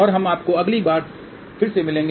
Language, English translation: Hindi, Thank you and we will see you again next time bye